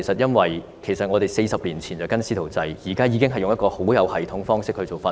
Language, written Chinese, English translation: Cantonese, 因為我們40年前推行"師徒制"，現在則用一個很有系統的方式進行訓練。, It is because the mentorship approach was adopted 40 years ago but the training is now being done in a very systematic manner